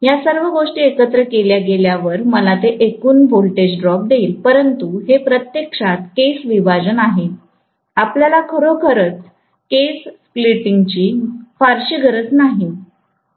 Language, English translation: Marathi, All these things added together will give me that total voltage drop, but it is actually hair splitting, you don’t really need so much of hair splitting